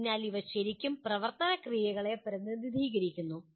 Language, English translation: Malayalam, So these represent really action verbs